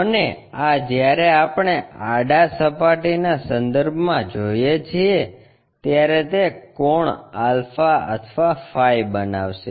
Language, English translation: Gujarati, And, this one when we are looking at that with respect to the horizontal plane it makes an angle alpha or phi